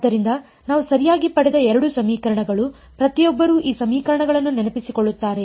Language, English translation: Kannada, So, these were the two equations that we had got right, everyone remembers these equations